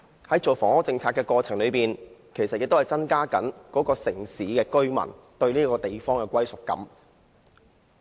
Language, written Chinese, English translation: Cantonese, 在制訂房屋政策的過程中，其實亦要考慮增加居民對該地方的歸屬感。, In formulating a housing policy a government should consider how the policy can enable the residents to have a greater sense of belonging of the place